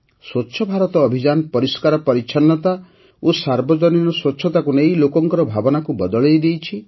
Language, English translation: Odia, The Swachh Bharat Abhiyan has changed people's mindset regarding cleanliness and public hygiene